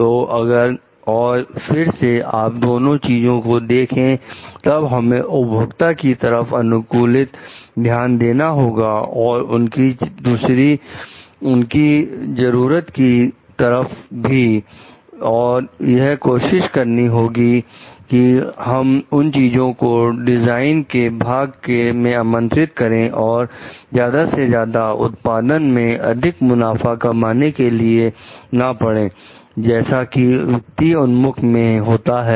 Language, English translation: Hindi, So, if and again if you are looking at both, then we need to give customized attention to the like customers and their needs and try to like invite those things in a design part and which may be like, cannot be like go on producing more and more which is the may be so that we are more profit which financial orientation